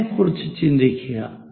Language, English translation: Malayalam, Let us look at this